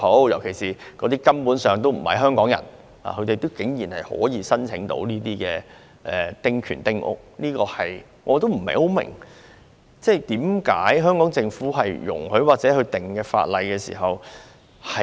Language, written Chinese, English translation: Cantonese, 有些擁有丁權的人根本不是香港人，但他們竟然可以申請興建丁屋，我不明白為甚麼香港政府容許這事情發生。, Some people who have small house concessionary rights are basically not Hong Kong people but they can apply for the construction of small houses . I cannot understand why this can be allowed by the Hong Kong Government